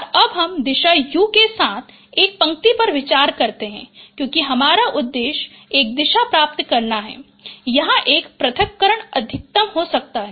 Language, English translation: Hindi, And now you consider a line with direction u because our objective is to get a direction where this separation could be maximum